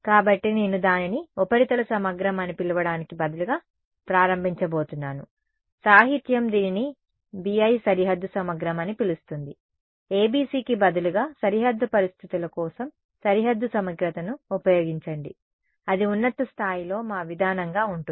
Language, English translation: Telugu, So, I am going to start instead of calling it surface integral the literature calls it BI boundary integral, use boundary integral for boundary conditions instead of ABC that is going to be our approach the at the high level ok